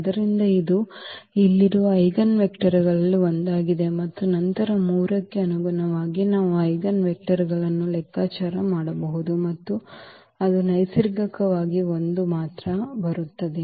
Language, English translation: Kannada, So, this is one of the eigenvectors here and then corresponding to 3 also we can compute the eigenvector and that is naturally it will come 1 only